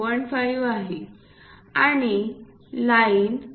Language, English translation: Marathi, 5 and the line has to be within 4